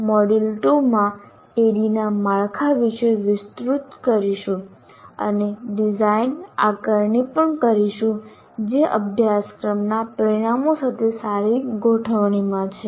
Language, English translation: Gujarati, So, we will be elaborating in the module 2 about the framework of ADDI and also design assessment that is in good alignment with course outcomes